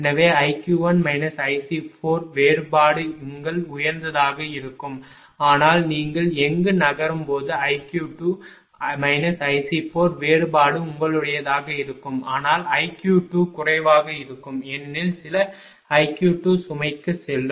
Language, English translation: Tamil, Therefore, i q 1 minus i C 4 difference will be your higher, but when you moving here difference of i q 2 minus i C 4 further will be your here it may be higher, but i q 2 will be less because some i q 2 will go to the load